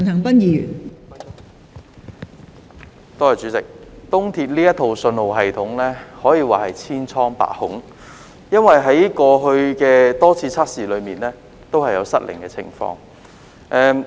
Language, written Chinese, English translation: Cantonese, 東鐵綫這套信號系統可說是千瘡百孔，因為在過去多次測試中也有失靈的情況。, The signalling system of EAL is fraught with problems for it has failed to work in many tests in the past